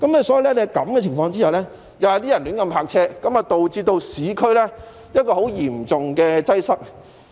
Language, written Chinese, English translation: Cantonese, 所以，在這情況下，便有人胡亂泊車，導致市區出現很嚴重的擠塞情況。, This is also why people have parked their cars indiscriminately resulting in serious traffic congestion in the urban area